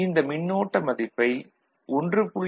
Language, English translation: Tamil, 1 volt, that is 1